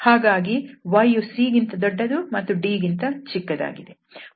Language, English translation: Kannada, So, here y varies between c and d so y is bigger than c and the less than d